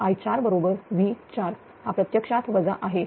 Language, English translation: Marathi, And i 4 is equal to same as V 4